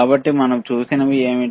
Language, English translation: Telugu, So, what we have seen